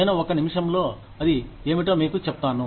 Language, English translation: Telugu, I will tell you, what that is, in a minute